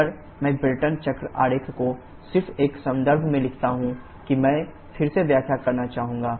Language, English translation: Hindi, If I just stick back to the Brayton cycle diagram just in context with that I would like to explain again